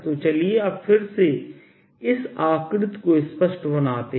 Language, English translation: Hindi, so let's now again make this figure neatly